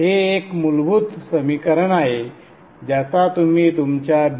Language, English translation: Marathi, This is basic equations which you would have studied during your B